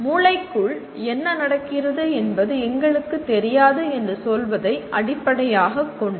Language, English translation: Tamil, It is based on saying that we do not know what exactly is happening inside the brain